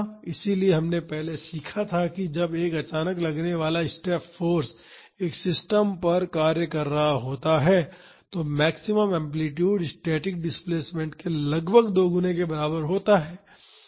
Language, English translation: Hindi, So, we learned earlier that when a suddenly applied step force is acting on a system the maximum amplitude is approximately equal to twice that of the static displacement